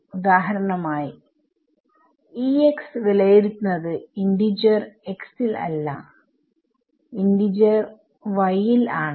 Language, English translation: Malayalam, So, E x for example, is not evaluated at integer x is, but it is evaluated at integer y